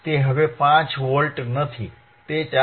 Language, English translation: Gujarati, It is not 5 Volts anymore, it is 4